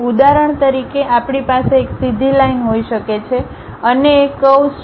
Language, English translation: Gujarati, For example, we can have one is a straight line other one is a curve